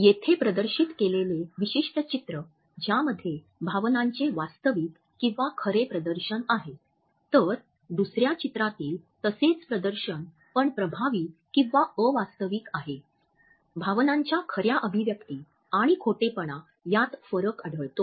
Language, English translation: Marathi, The particular picture which has been displayed here in which one display of emotion is real whereas, in the second picture the same display is of effect; emotion finds out the difference between a true expression and the detection of a lie